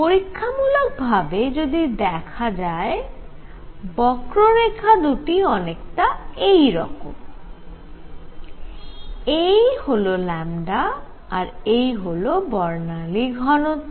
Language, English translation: Bengali, If you see it experimentally, the two curve is something like this, this is lambda, this is spectral density